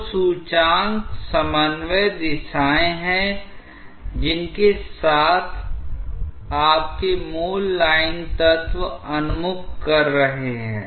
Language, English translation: Hindi, The indices are the coordinate directions along which your original line elements were oriented